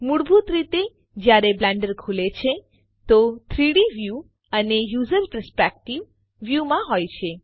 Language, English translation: Gujarati, By default, when Blender opens, the 3D view is in the User Perspective view